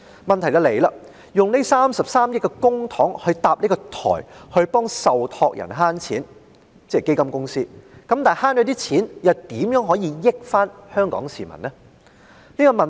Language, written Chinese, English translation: Cantonese, 問題是，以33億元的公帑建設電子平台來為受託人——即基金公司——節省金錢，但省下的款項如何令香港市民受惠？, The question is Given that 3.3 billion of public money will be used to develop the electronic platform to save money for the trustees that is fund companies how can the money saved benefit the people of Hong Kong?